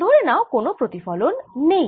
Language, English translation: Bengali, suppose there is no reflection